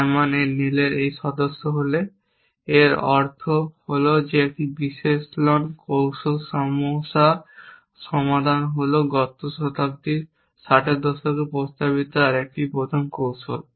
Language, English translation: Bengali, If it member Simon a Newell the means an analysis strategy problem solving was the another first strategy proposed by in a in the 60’s in the last century